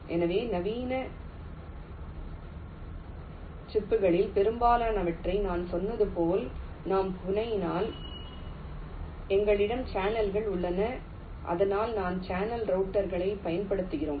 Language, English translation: Tamil, so this, as i said, most of the modern chips that if i fabricate, there we have channels and thats why we use channel routers